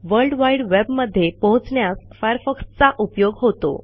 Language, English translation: Marathi, Firefox is used to access world wide web